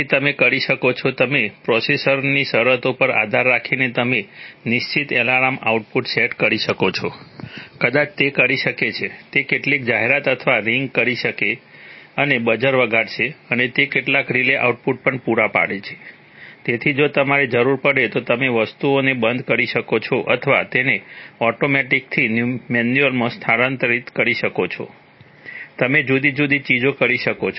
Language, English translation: Gujarati, So you could have, you could depending on process conditions you could set certain alarm outputs maybe it will, it will lighten up some annunciation or ring and ring a buzzer, and it also provided some, provides some relay output, so that if you need you can switch off things or transfer it from automatic to manual, you can do various things